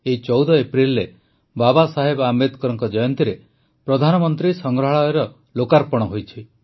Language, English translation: Odia, On this 14th April, the birth anniversary of Babasaheb Ambedkar, the Pradhanmantri Sangrahalaya was dedicated to the nation